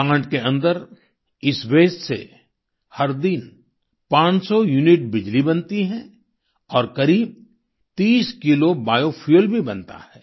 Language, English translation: Hindi, In this plant 500units of electricity is generated every day, and about 30 Kilos of bio fuel too is generated